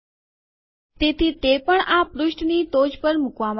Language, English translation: Gujarati, So it has also been put at the top of this page